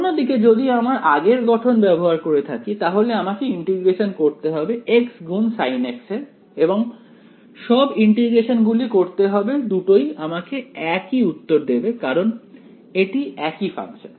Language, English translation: Bengali, On the other hand if I have if use the previous form then I have to do the integration of x multiplied by sin x and do all that integration both will give me the same answer because is the same function ok